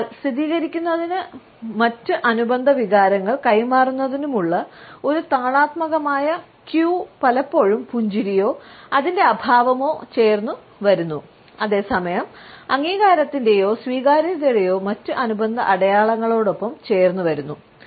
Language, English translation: Malayalam, So, this rhythmical queue for affirmation and for passing on other related emotions is also often accompanied by smiling or its absence and at the same time other related signs of approval or agreement